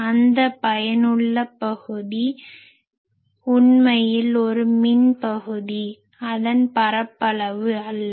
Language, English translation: Tamil, That effective area is actually an electrical, concept it is not a physical area thing